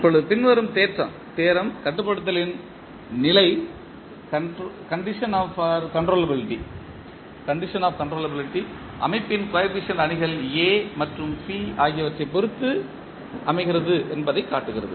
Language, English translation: Tamil, Now, the following theorem shows that the condition of controllability depends on the coefficient matrices A and B of the system